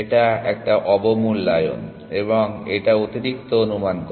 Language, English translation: Bengali, This is this underestimates, and this overestimates